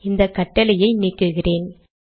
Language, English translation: Tamil, Let me delete these commands